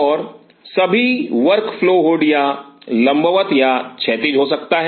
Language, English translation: Hindi, And all the work flow hood it could be either vertical or horizontal